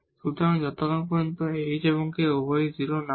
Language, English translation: Bengali, So for r, this is when x and y both have 0